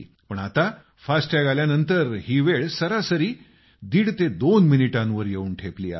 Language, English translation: Marathi, However, since the emergence of 'FASTag', this time has reduced to around one and a half minutes to 2 minutes on an average